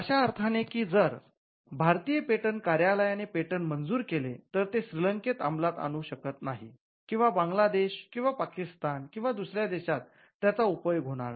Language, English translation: Marathi, Patents are territorial, in the sense that if the Indian patent office grants a patent, it is not enforceable in Sri Lanka or Bangladesh or Pakistan or any of the neighboring countries